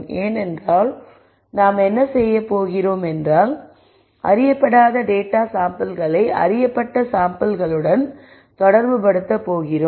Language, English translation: Tamil, Because what we are going to do is we are going to relate unknown samples to known samples